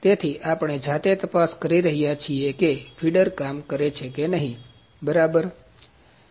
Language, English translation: Gujarati, So, we are manually checking whether the feeder is working or not ok